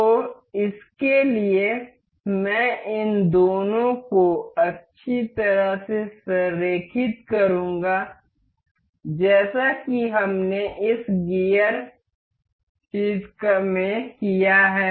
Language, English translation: Hindi, So, for that I will nicely align these two as we have done in this gear thing